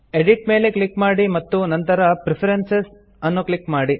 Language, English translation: Kannada, Click on Edit and then on Preferences